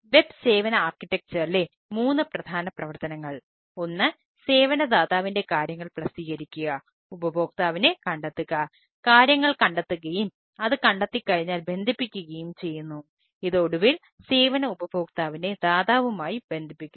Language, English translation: Malayalam, one is publish to publish the service provider things find, the consumer finds the things, consumer find the things and bind once is find and it finally binds with the service consumer, with the provider